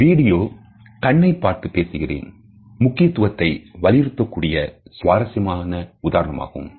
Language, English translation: Tamil, This video is a very interesting illustration of the significance of eye contact